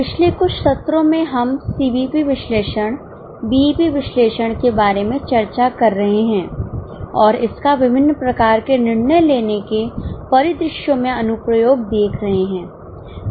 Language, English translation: Hindi, In last few sessions, in last few sessions we are discussing about CVP analysis, BEP analysis and its applications in various type of decision making scenarios